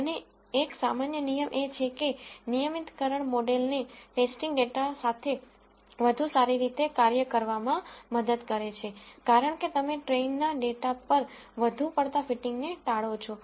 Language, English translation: Gujarati, And one general rule is regularization helps the model work better with test data because you avoid over fitting on the train data